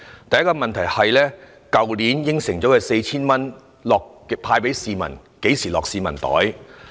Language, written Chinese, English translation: Cantonese, 第一個問題是，去年答應派發的 4,000 元，何時才會派到市民手上？, The first question is when the 4,000 as promised last year will be handed to the people